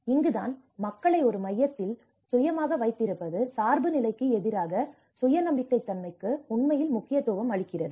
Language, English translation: Tamil, So, this is where the putting people in self in a center which actually emphasizes on self reliability versus with the dependency